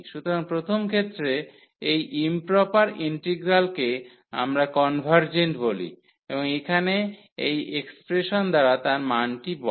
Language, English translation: Bengali, So, in the first case this improper integral we call it is convergent and the values given by this expression here